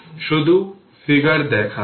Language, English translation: Bengali, Just I showed you the figure